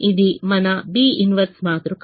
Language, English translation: Telugu, that is your matrix b